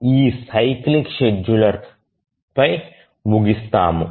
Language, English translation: Telugu, So now we conclude on this cyclic scheduler